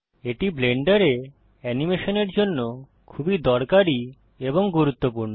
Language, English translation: Bengali, This is very useful and important for animating in Blender